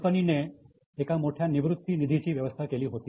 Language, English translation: Marathi, Company had a big retirement fund